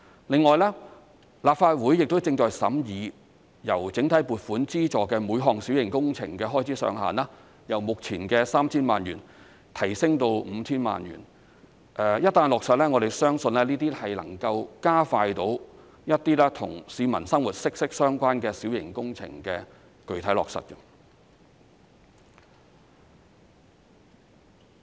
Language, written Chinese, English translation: Cantonese, 另外，立法會亦正審議把由整體撥款資助的每項小型工程開支上限由目前的 3,000 萬元提升至 5,000 萬元；一旦落實，我們相信能夠加快一些與市民生活息息相關的小型工程的具體落實。, Moreover the Legislative Council is considering raising the expenditure ceiling of each minor works project funded under the block vote from the current 30 million to 50 million . Once this is implemented we believe this will speed up the implementation of minor works projects which are closely related to peoples livelihood